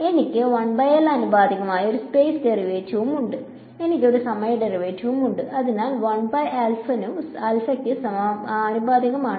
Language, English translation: Malayalam, So, I have a space derivative which is proportional to 1 by L, I have a time derivative which is proportional to 1 by lambda ok